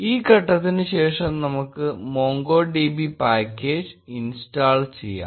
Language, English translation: Malayalam, After this step, we will install the MongoDB package